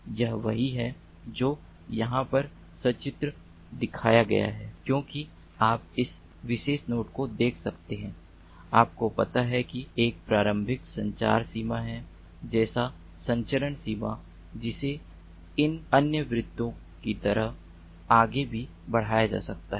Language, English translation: Hindi, so this is what is shown over here pictorially, as you can see, this particular node, you know it has an initial communication range, like this, the transmission range, which can be increased further, like these other circles